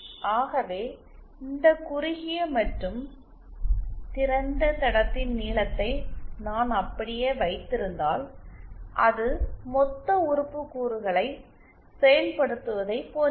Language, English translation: Tamil, So then and if I keep the length of these shorted and open lines the same then it is just like implementing the lumped element components